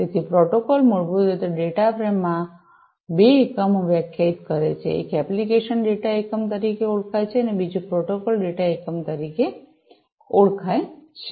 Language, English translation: Gujarati, So, the protocol basically defines two units in the data frame; one is known as the application data unit, the other one is the protocol data unit